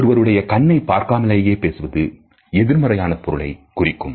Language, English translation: Tamil, Talking to a person with in avoidance of eye contact passes on negative connotations